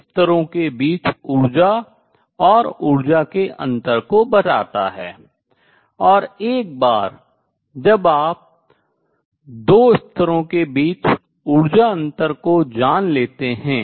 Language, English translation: Hindi, So, this let to energies and energy differences between 2 levels and once you know the energy difference between the 2 levels